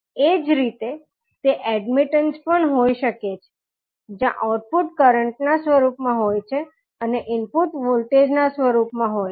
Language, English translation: Gujarati, Similarly, it can be admitted also where output is in the form of current and input is in the form of voltage